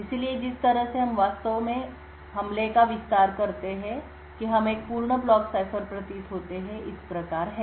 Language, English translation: Hindi, So, the way we actually extend the attack that we seem to a complete block cipher is as follows